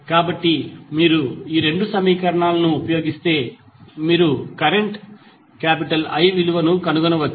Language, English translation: Telugu, So, if you use these 2 equations you can find the value of current I